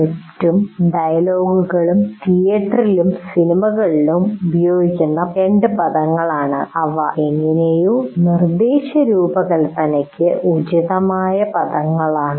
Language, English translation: Malayalam, So script and dialogues are the two words that are used, let us say, both in theater and movies, and they somehow, there are appropriate words for instruction design